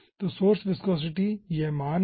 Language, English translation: Hindi, so source viscosity is this value, so this ah